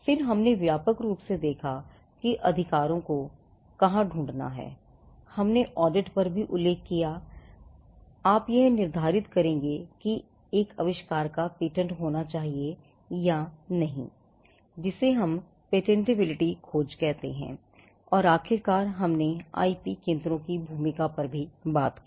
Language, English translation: Hindi, Then, we broadly looked at where to look for inventions and we had also mentioned on the audit that you would do to determine whether an invention should be patented or not, what we call the patentability search and, finally, we had touched upon the role of IP centres